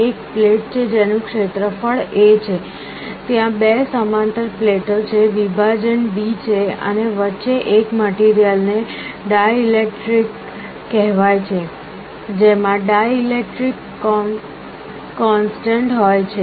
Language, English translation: Gujarati, There is a plate whose area is A, there are two parallel plates, the separation is d, and there is a material in between called dielectric, which has a dielectric constant